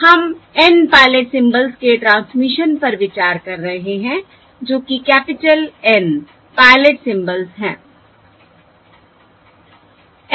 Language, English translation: Hindi, We are considering the transmission of N pilot symbols, that is, capital N pilot symbols